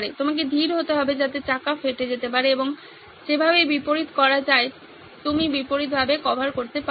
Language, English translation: Bengali, You need to be slow, so that there is tyre ware and the way to reverse you can reverse it